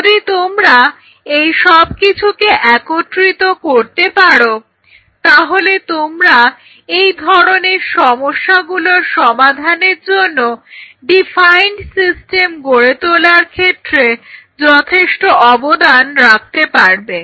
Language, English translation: Bengali, Once you can pull all this together you really can contribute in a big way in developing defining systems to achieve these kinds of problems